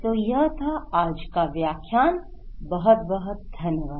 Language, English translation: Hindi, So that’s all for today's lecture, this lecture, so thank you very much